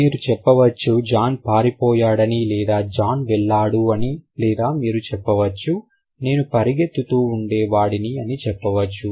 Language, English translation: Telugu, You can say John ran away or John ran or you can say I was running